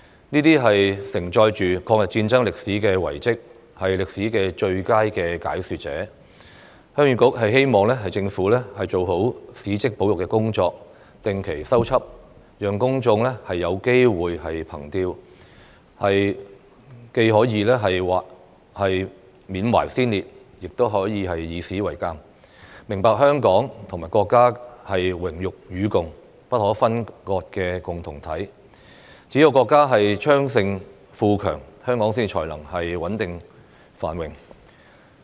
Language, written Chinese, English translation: Cantonese, 這些承載抗日戰爭歷史的遺蹟，是歷史的最佳解說者，鄉議局希望政府做好史蹟保育工作，定期修葺，讓公眾有機會憑弔，既緬懷先烈，亦以史為鑒，明白香港與國家是榮辱與共、不可分割的共同體，只有國家昌盛富強，香港才能穩定繁榮。, These relics which bear the history of the war of resistance against Japanese aggression are the best narrators of history . The Heung Yee Kuk hopes that the Government will do a good job in preserving these historic monuments and repair them regularly so that the public can have the opportunity to not only pay tribute to the martyrs but also learn from history and understand that Hong Kong and our country are an inseparable community with a shared destiny and that only when our country is thriving and prospering can Hong Kong be stable and prosperous . One can predict the future by examining historical events